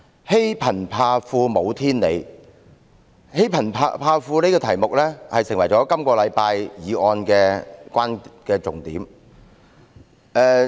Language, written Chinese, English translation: Cantonese, "欺貧怕富無天理"，這個題目成為了本周議案的重點。, Bullying the poor and being afraid of the rich without justice has become the focal point of the motion this week